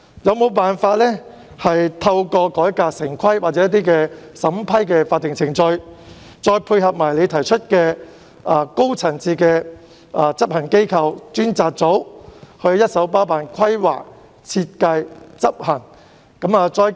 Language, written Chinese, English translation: Cantonese, 政府能否透過改革城規或某些法定審批程序，再配合特首提出的高層次執行機構、專責組，一手包辦規劃、設計和執行工作？, Can the Government reform the town planning procedures or certain statutory approval procedures so that it can take up solely on its own the planning design and implementation through the high - level implementation authorities or dedicated institution as proposed by the Chief Executive?